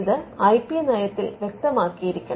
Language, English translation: Malayalam, So, this has to come out clearly in the IP policy